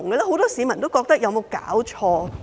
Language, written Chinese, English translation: Cantonese, 很多市民都認為有否搞錯？, Many members of the public wondered if something had gone wrong